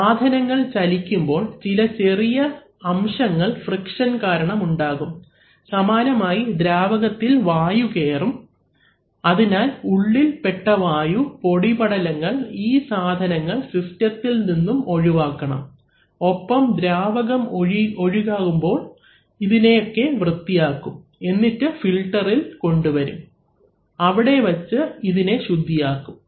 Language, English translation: Malayalam, You know, as things move some small particles may be generated by friction, similarly small, similarly sometimes air may come into the fluid, so all these entrapped air, dust particles, these things have to be removed from the system and the fluid as it flows it also cleanses this and brings it to the filter, where they are filtered